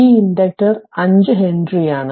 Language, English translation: Malayalam, And this inductor is 5 henry this is 20 henry